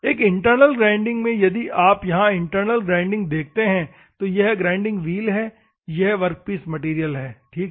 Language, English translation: Hindi, In a, if you see here in internal grinding, this is a grinding wheel, and this is the workpiece material, ok